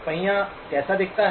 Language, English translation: Hindi, What does the wheel look like